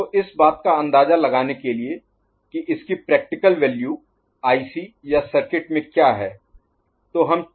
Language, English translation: Hindi, So, to get an idea about what are the practical values some of the you know ICs or circuits that are used